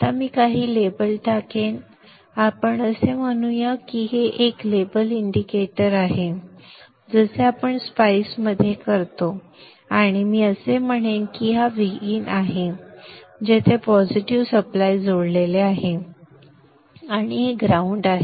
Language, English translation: Marathi, So let us say this is a label indicator just like we do in spice and I will put say that this is V in, that is where the positive of the supply is attached